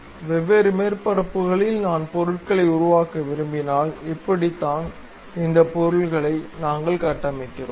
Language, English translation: Tamil, So, on different surfaces if I would like to really construct objects, this is the way we construct these objects